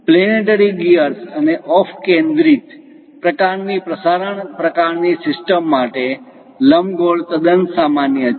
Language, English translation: Gujarati, Ellipse are quite common for planetary gears and off centred kind of transmission kind of systems